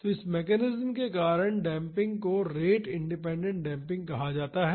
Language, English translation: Hindi, So, because of this mechanism, the damping is called rate independent damping